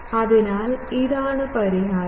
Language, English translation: Malayalam, So, this is the solution